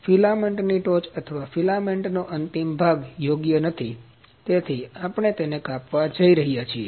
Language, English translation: Gujarati, The tip of the filament or the end of the filament is not proper